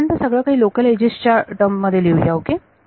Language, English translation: Marathi, Let us write everything in terms of local edges first ok